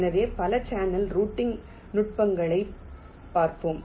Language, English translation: Tamil, ok, so we shall be looking at a number of channel routing techniques